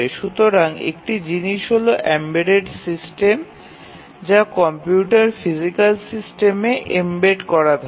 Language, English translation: Bengali, So, one thing is that in the embedded system the computer is embedded in the physical system